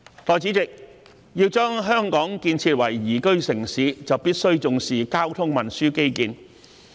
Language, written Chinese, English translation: Cantonese, 代理主席，要把香港建設為宜居城市，就必須重視交通運輸基建。, Deputy President to build Hong Kong into a liveable city great importance must be attached to traffic and transport infrastructure